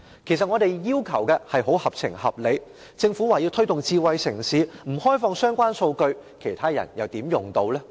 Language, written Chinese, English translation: Cantonese, 其實我們的要求合情合理，政府說要推動智慧城市，但若不開放相關數據，其他人又怎能使用呢？, In fact our request is most reasonable . The Government talks about the need to promote smart city development but if the relevant data is not open how can the other people use it?